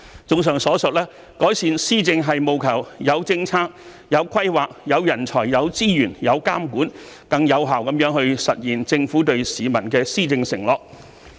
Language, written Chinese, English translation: Cantonese, 綜上所述，改善施政是務求有政策、有規劃、有人才、有資源、有監管，更有效地實現政府對市民的施政承諾。, In summary in order to improve governance the Government must have policies planning talents resources and supervision and must effectively realize its governance commitment to the public